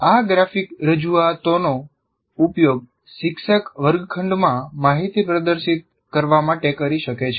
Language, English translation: Gujarati, These graphic representations can be used by teachers as a means to display information in the classroom